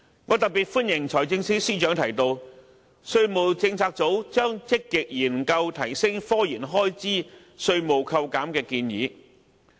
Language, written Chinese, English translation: Cantonese, 我特別歡迎財政司司長提到，稅務政策組將積極研究提升科研開支稅務扣減的建議。, I especially welcome the Financial Secretarys statement that the tax policy unit will explore enhanced tax deductions for IT expenditure